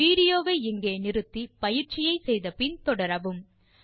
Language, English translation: Tamil, Pause the video here, try out the following exercise and resume